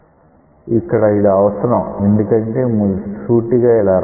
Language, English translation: Telugu, Here that is not necessary because, here you can straight forward write this